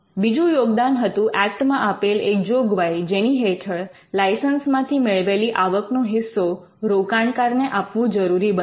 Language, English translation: Gujarati, In the second contribution was the Act brought in a provision to share the license income with the inventors